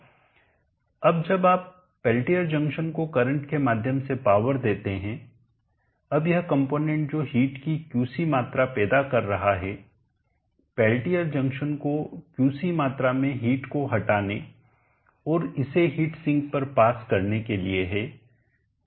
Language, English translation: Hindi, Now when you power of the Pelletier junction by passing the current through that now this component which is generating Qc amount of heat the Pelletier junction as to remove Qc amount of heat and pass it out to heat sink